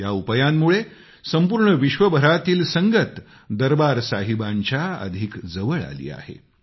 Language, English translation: Marathi, With this step, the Sangat, the followers all over the world have come closer to Darbaar Sahib